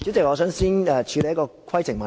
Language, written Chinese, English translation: Cantonese, 你有甚麼規程問題？, What is your point of order?